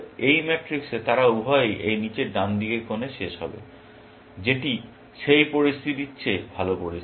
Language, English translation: Bengali, In this matrix, they will both end up in this lower right hand corner, which is the better situation than that situation